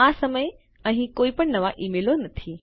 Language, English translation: Gujarati, There are no new emails at the moment